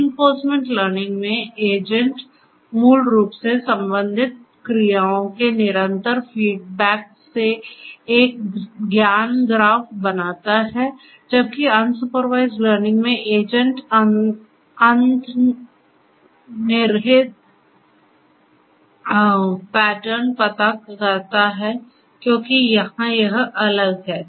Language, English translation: Hindi, In reinforcement learning the agent basically builds a knowledge graph from the constant feed backs of the corresponding actions whereas, the unsupervised learning in that the agent finds the underlying pattern because of the known because of sorry here it is different